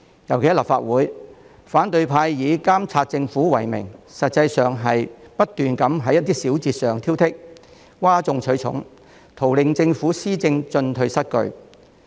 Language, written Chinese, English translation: Cantonese, 尤其是在立法會，反對派以監察政府為名，實際上不斷在一些小節上挑剔，譁眾取寵，圖令政府施政進退失據。, Particularly in the Legislative Council under the pretext of monitoring the Government the opposition camp has actually been nitpicking and grandstanding in a bid to put the Government in a governance quandary